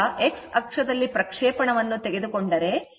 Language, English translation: Kannada, Now if you take a projection on the your x axis, right